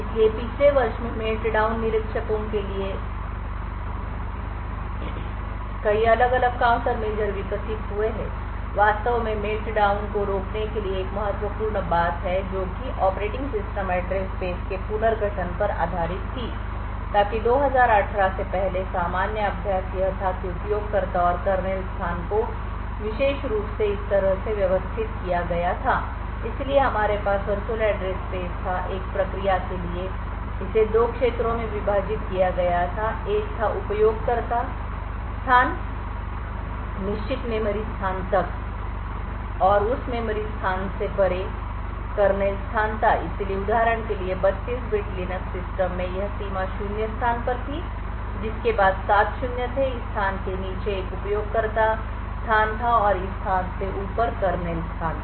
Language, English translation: Hindi, So in the last year there have been a lot of different countermeasures that have been developed for Meltdown inspectors one of the important thing to actually prevent Meltdown was based on restructuring the operating system address space so in the general practice prior to 2018 the user and kernel space was arranged in this particularly way so we had this as the virtual address space for a process it was divided into two regions a one was the user space up to a certain memory location and beyond that memory location was the kernel space so for example in a 32 bit Linux system this of boundary was at the location zero X C followed by seven zeros below this location was a user space and above this location was the kernel space